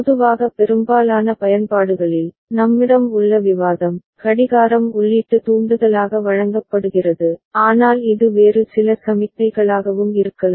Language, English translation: Tamil, And usually in most of the applications, the discussion that we have, clock is given as input trigger, but it could be some other signal also